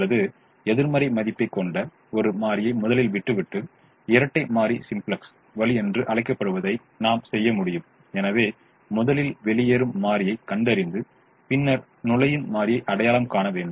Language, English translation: Tamil, or we could do the what is called the dual simplex way by first a leaving, a variable that has a negative value, so first identifying the leaving variable and then identifying the entering variable